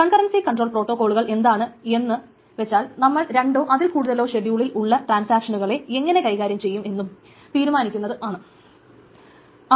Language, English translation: Malayalam, So, concurrency control protocols are essentially that is what they decide how to manage the concurrency between two or more transactions in a schedule